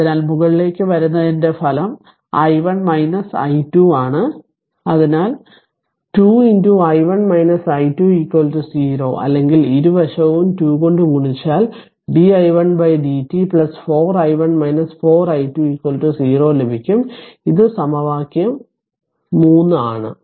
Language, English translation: Malayalam, So, resultant upward is i 1 minus i 2, so plus 2 into i 1 minus i 2 is equal to 0 or you just ah mul multiply both side by 2, then you will get di 1 by dt plus 4 i 1 minus 4 i 2 is equal to 0 this is the equation 3 given